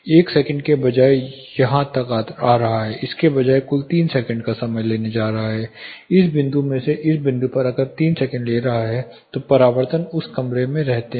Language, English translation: Hindi, Instead of 1 second if this where to decay all the way here, instead of this is going to take say 3 seconds total from this point to this point if it is taking 3 seconds then the reflections stay in that room